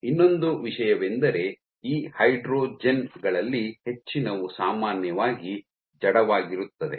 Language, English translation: Kannada, And the other thing, most of these hydrogens are generally inert